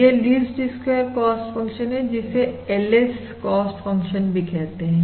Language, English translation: Hindi, This is basically your least squares cost function, also abbreviated as the LS cost function